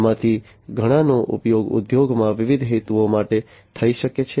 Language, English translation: Gujarati, Many of these could be used for different purposes in the industries